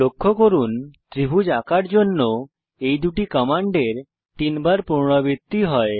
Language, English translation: Bengali, Note that these two commands are repeated thrice to draw a triangle